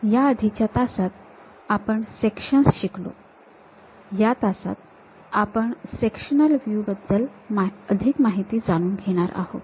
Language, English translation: Marathi, In the earlier classes, we have learned about Sections, in this class we will learn more about Sectional Views